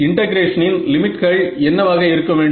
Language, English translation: Tamil, So, what should be the limits of integration